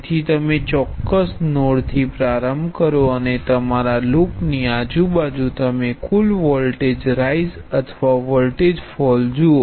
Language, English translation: Gujarati, So you start from particular node and trace your way around the loop and you look at the total voltage rise or voltage fall